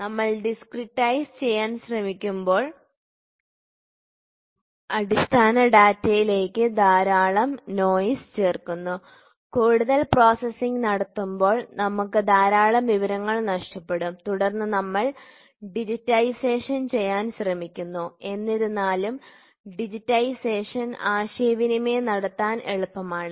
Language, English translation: Malayalam, So, when we try to discretize lot of noises get added to the basic data and when we do further processing, we miss lot of information, then we try to do digitisation; however, digitisation is easy to communicate